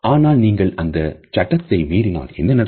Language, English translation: Tamil, But what happens when you break those rules